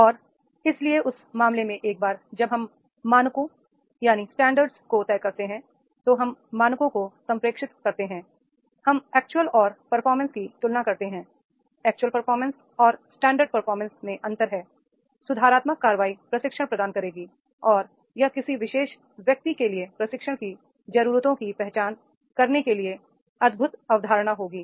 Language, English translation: Hindi, These are not unrealistic standards and therefore in that case once we decide these standards, we communicate the standards, we compare the actual and this performance, extra performance with the standard performance and then this gap that is the gap, the corrective action will be that providing the training and this will be the wonderful concept for the identifying the training needs for a particular individual